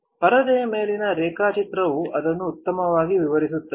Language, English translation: Kannada, The drawing on the screen would explain it better